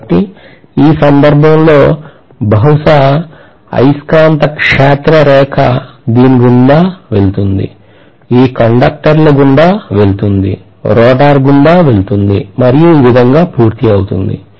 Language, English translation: Telugu, So I would say that in this case, maybe the magnetic field line will pass through this, pass through these conductors, pass through the rotor and complete itself like this